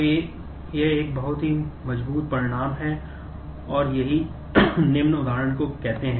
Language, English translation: Hindi, So, that is a very strong result and that is what leads to say the following example